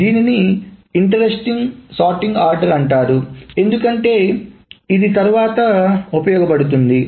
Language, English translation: Telugu, So that is an interesting sort order because it is useful later